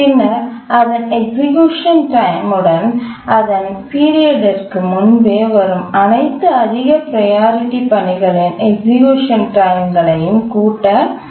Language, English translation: Tamil, We need to check whether its execution time, plus the time taken for executing all its higher priority tasks that arrive before its period is less than equal to its period